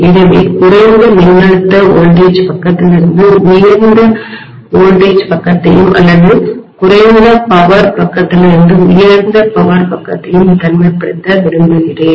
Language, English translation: Tamil, So I would like to isolate a high voltage side from a low voltage side or high power side from a low power side